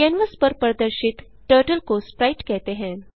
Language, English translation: Hindi, Turtle displayed on the canvas is called sprite